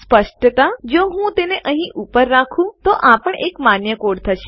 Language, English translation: Gujarati, Obviously if I were to put that up here, that would also be a valid code, as would that